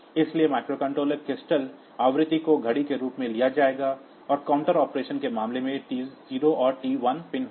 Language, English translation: Hindi, So, microcontrollers crystal frequency will be taken as the clock and in case of counter operation this T 0 and T 1 pins